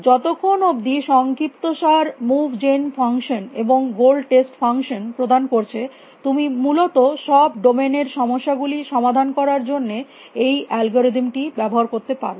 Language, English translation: Bengali, As long as summery provides with you move gen function, and the goal test function you can use this algorithm to solve problems in any domain essentially